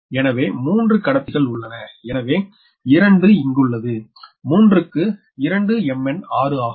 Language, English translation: Tamil, so three conductors, two are here, three into two, m